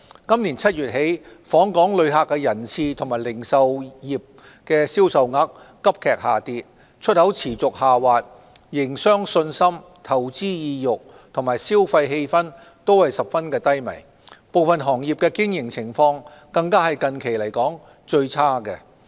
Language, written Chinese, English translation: Cantonese, 今年7月起，訪港旅客人次和零售業銷售額急劇下跌、出口持續下滑，營商信心、投資意欲和消費氣氛均十分低迷，部分行業的經營情況更是近期來說最差的。, Since July this year there have been sharp reductions in visitor arrivals and retail sales a continued decline in exports as well as deeply dampened business investment and consumption sentiments . Certain industries have recorded the worst business performance recently